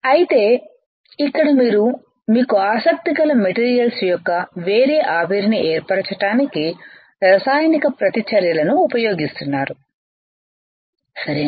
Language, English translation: Telugu, In here you are using a chemical reactions to form a different vapors of the materials of your interest, right